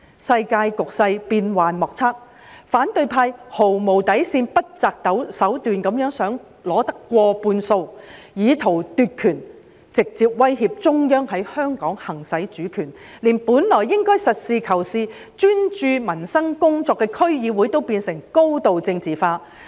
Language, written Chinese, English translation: Cantonese, 世界局勢變幻莫測，反對派毫無底線、不擇手段的想取得過半數，以圖奪權，直接威脅中央在香港行使主權，連本來應該實事求是、專注民生工作的區議會也變成高度政治化。, The world situation is unpredictable and the opposition strived beyond all boundaries to obtain the majority seats by hook or by crook intending to seize power to directly threaten the Central Authorities in exercising their sovereignty in Hong Kong . Even the District Councils DCs which should have focused practically on peoples livelihood issues have become highly politicized